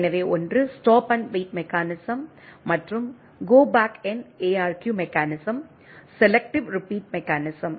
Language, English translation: Tamil, So, one is the stop and wait mechanism and Go Back N ARQ mechanism, selective repeat mechanism